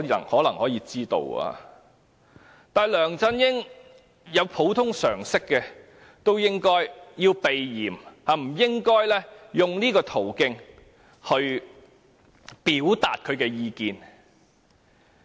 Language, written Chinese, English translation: Cantonese, 可是，如果梁振英有普通常識也應避嫌，不應用這種途徑表達他的意見。, Nevertheless if LEUNG Chun - ying has common sense he should also avoid arousing suspicion and refrain from expressing his views this way